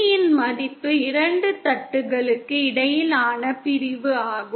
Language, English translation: Tamil, D is the separation between the two plates